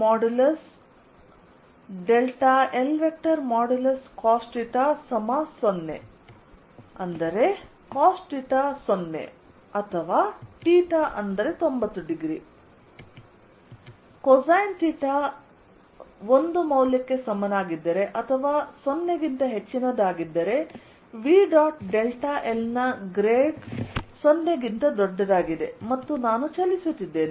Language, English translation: Kannada, if cosine theta is equal to one or greater than zero, then grad of v dot delta l is greater than zero and i am moving